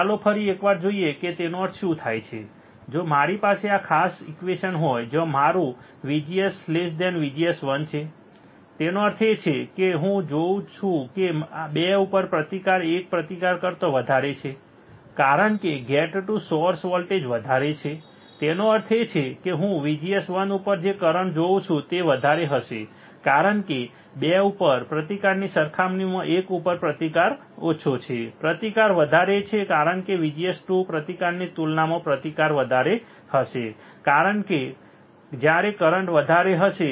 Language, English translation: Gujarati, Let us see once again what does that mean that, if I have this particular equation where my VGS 2 is less than VGS 1; that means, I see that the resistance at 2 is greater than resistance at one right, because the gate to source voltage is more; that means, that what will I see is current at VGS 1 would be higher because resistance at one is lower compared to resistance at 2 is higher that is resistance, because of VGS 2 resistance would be higher compared to resistance that is when the current would be higher in case where I am applying VGS 1 and when I am applying VGS 2 my current would be less you can see here from the graph also that for different value of VGS I have different value of current right this VDS since VGS is less than VGS 2